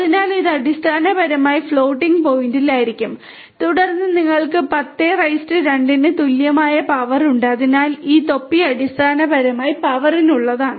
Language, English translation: Malayalam, So, this basically will be in the floating point and then you have power equal to 10^2 so this cap is basically for the power